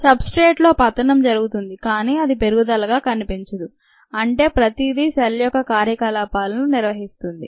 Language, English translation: Telugu, there will be substrate consumption were it doesnt show up as growth, which means everything is going to maintain the cell, maintain the activities of the cell